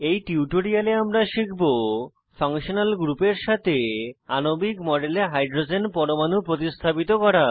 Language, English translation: Bengali, In this tutorial, we will learn to, * Substitute hydrogen atom in a molecular model with a functional group